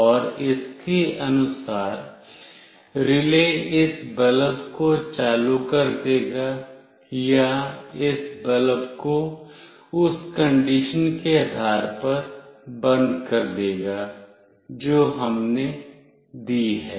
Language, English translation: Hindi, And according the relay will make this bulb glow or it will make this bulb off depending on the condition that we have given